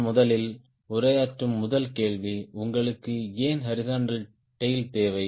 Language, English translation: Tamil, the first question i am addressing first: why do you need a horizontal tail